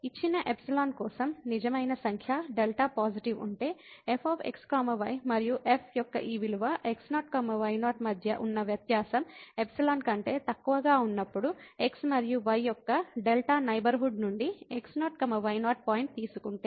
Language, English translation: Telugu, If for a given epsilon there exist a real number delta positive; such that this difference between and this value of at less than epsilon whenever these and ’s if we take from the delta neighborhood of naught naught point